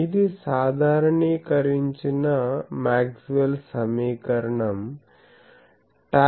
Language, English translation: Telugu, So, this is the generalized Maxwell’s equation